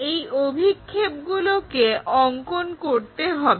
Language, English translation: Bengali, Draw it's projections